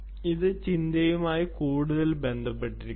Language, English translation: Malayalam, this is more to do with thinking